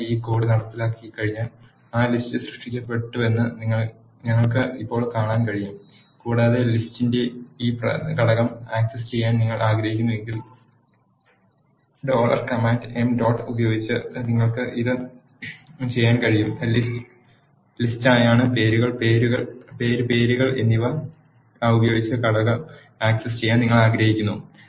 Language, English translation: Malayalam, Once you execute this code we can see now that list is created and if you want to access this element of the list you can do that by using the dollar command m dot list is the list and you want access the component with the name, names